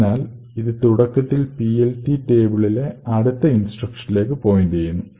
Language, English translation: Malayalam, So, this initially points to the next instruction in the PLT table